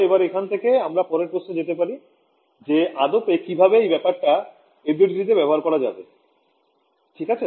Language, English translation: Bengali, So, that brings us to the next question of how do I actually implement this in FDTD ok